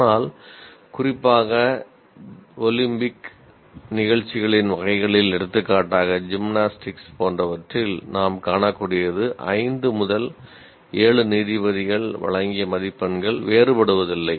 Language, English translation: Tamil, But as you can see, especially in Olympic type of performances like gymnastics and so on, the marks given by multiple judges, 5 to 7 judges give